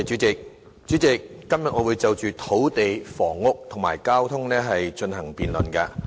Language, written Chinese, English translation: Cantonese, 主席，今天我會討論土地、房屋及交通政策等範疇。, President I am going to discuss policy areas on land housing and transportation today